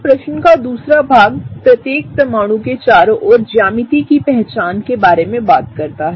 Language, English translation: Hindi, Now, the second part of the question talks about, identifying the geometries around each atom